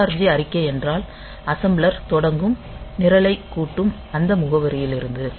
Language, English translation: Tamil, So, ORG statements means that the assembler will start, assembling the program, from that address onwards